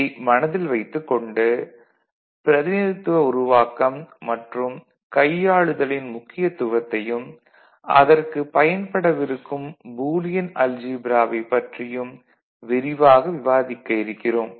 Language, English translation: Tamil, So, this is we keep in mind and we understand the importance of their representation and manipulation and for which we shall have a look at Boolean algebra and more on that we shall discuss later